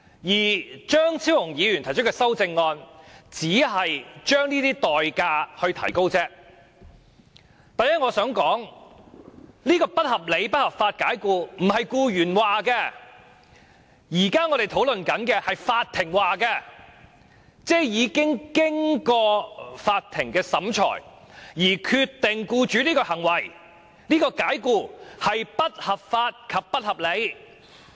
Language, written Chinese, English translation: Cantonese, 我想說的第一點是，我們現在討論的不合理及不合法解僱，不是僱員說的，而是法庭說的，即經過法庭審理，並裁定僱主的解僱為不合理及不合法。, The first point I would like to make is that the unreasonable and unlawful dismissal now under discussion is not to be decided by employees but by the court . The court decided after a trial whether the dismissal was unreasonable and unlawful